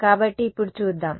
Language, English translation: Telugu, So, let us see now